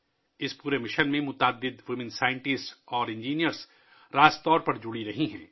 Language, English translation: Urdu, Many women scientists and engineers have been directly involved in this entire mission